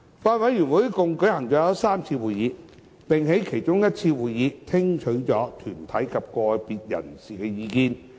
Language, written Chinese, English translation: Cantonese, 法案委員會一共舉行了3次會議，並在其中一次會議聽取了團體及個別人士的意見。, The Bills Committee has held a total of three meetings . During one meeting the Bills Committee has received views from organizations and individuals